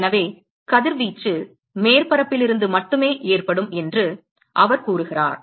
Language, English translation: Tamil, So, he says that radiation can occurs only from surfaces